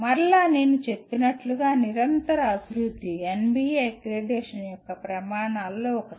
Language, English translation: Telugu, And again as I said continuous improvement is one of the criterion of NBA accreditation